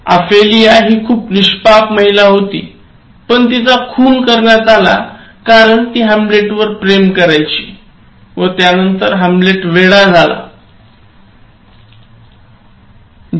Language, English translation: Marathi, So, Ophelia is a very innocent woman, but she is killed because of another tragic situation her love for Hamlet and then Hamlet appears to have become mad and then that worries her and then she dies